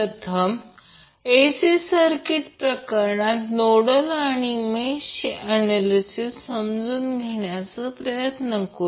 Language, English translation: Marathi, So let's try to understand the nodal and mesh analysis first in case of AC circuit